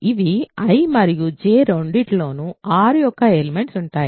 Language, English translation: Telugu, These are elements of R which are in both I and J